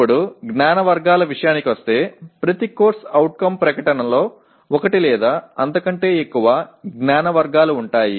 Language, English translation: Telugu, Now coming to the knowledge categories, every CO statement will include one or more categories of knowledge